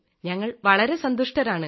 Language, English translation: Malayalam, All are delighted